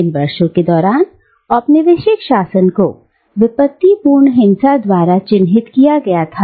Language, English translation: Hindi, And these last years of the colonial rule was marked by calamitous violence